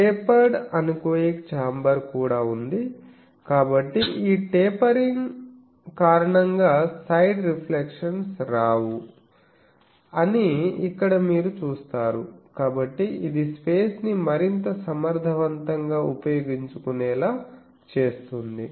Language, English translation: Telugu, Also there is a tapered anechoic chamber, so here you see that side reflections do not come because of this tapering, so it also makes the space more efficiently utilized